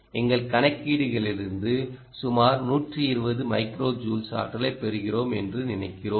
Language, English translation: Tamil, we think from our calculations we get about hundred and twenty micro joules of energy